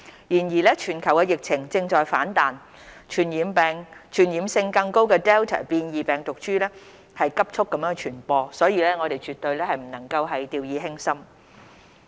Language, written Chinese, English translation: Cantonese, 然而，全球疫情正在反彈，傳染性更高的 Delta 變異病毒株在急速傳播，我們絕不能掉以輕心。, However with resurgence of cases and rapid spread of the more contagious Delta mutant strain around the world we cannot afford to let down our guard